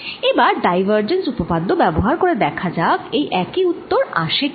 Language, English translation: Bengali, let us now apply divergence theorem and see if this gives the same answer